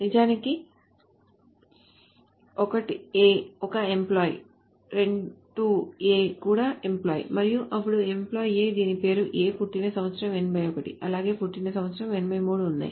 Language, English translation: Telugu, So 1A is actually an employee so is 2A and for an employee A whose name is A, there is a year of birth 81 as well as year of birth 83